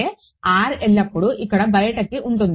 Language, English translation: Telugu, R is always outside over here